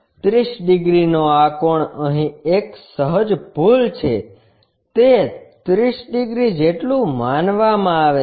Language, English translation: Gujarati, This 30 degrees angle ah there is a small mistake here, it is supposed to be 30 degrees well